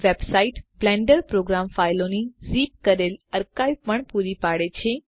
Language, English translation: Gujarati, The website also provides a zipped archive of the Blender program files